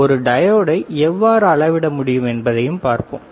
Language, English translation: Tamil, that means, we will see how we can measure the diode also